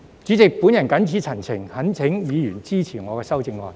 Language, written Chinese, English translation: Cantonese, 主席，我謹此陳辭，懇請議員支持我的修正案。, With these remarks President I implore Members to support my amendment